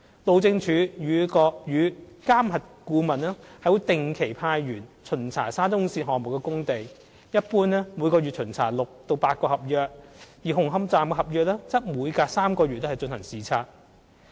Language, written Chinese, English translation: Cantonese, 路政署與監核顧問會定期派員巡查沙中線項目的工地，一般每月巡查6至8個合約，而紅磡站的合約則每隔3個月進行視察。, The Highways Department and the MV Consultant will visit the sites of the SCL project regularly . In general about six to eight works contracts are visited in a month and the works contract of Hung Hom Station is visited about once in every three months